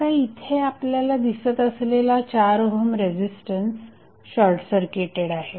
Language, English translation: Marathi, So, the 4 ohm resistance which you see here is now short circuited